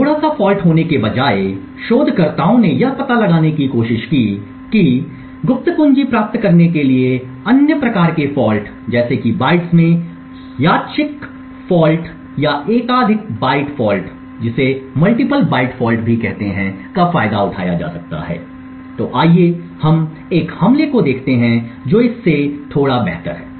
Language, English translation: Hindi, Instead of having a bit fault the researchers have tried to find out whether other kinds of faults such as random faults in bytes or multiple byte falls can be exploited to obtain the secret key, so let us see an attack which is slightly better than this one